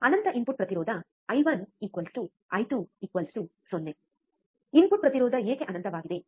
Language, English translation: Kannada, Infinite input impedance I 1 equals to I 2 equals to 0, why input impedance is infinite